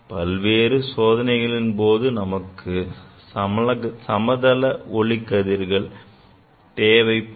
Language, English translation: Tamil, In many experiments you need parallel rays